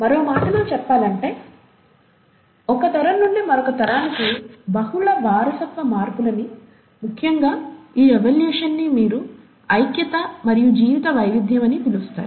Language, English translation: Telugu, In other words, multiple heritable modifications from one generation to the next, and it is this evolution which essentially accounts for what you call as the unity and the diversity of life